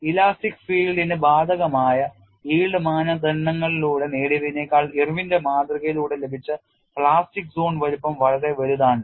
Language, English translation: Malayalam, The plastic zone size obtain through Irwin’s model is quite large in comparison to the one obtain through the yield criteria applied to the elastic field